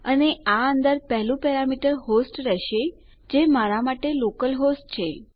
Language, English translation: Gujarati, And inside this the first parameter will be a host which is localhost for me